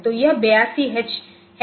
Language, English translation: Hindi, So, this is the 82 H